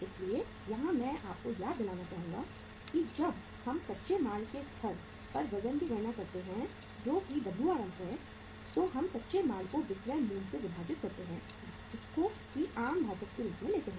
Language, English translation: Hindi, So here I would like to remind you that when we calculate the weight at the raw material stage that is Wrm, we take the raw material as uh to be divided by the selling price being a common denominator